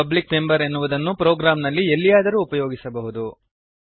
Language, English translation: Kannada, A public member can be used anywhere in the program